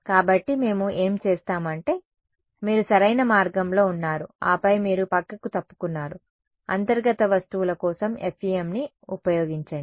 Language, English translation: Telugu, So, what we will do is I mean, you are on the right track and then you deviated, use FEM for the interior objects